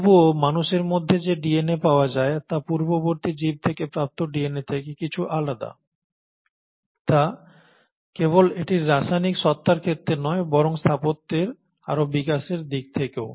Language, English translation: Bengali, Yet, the DNA which is found in humans is slightly different from the DNA which you find in earlier organisms, not in terms of its chemical entity, but in terms of further architectural development